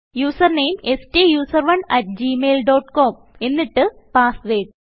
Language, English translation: Malayalam, Now enter the user name STUSERONE at gmail dot com and then the password